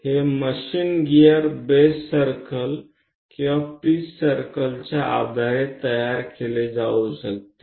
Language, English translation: Marathi, This machine gear might be constructed based on a base pitch circle base circle or pitch circle